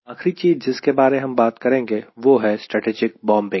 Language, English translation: Hindi, and the last one which we will be talking about is strategic bombing